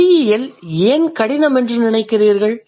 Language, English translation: Tamil, Then we'll see why do you think linguistics is difficult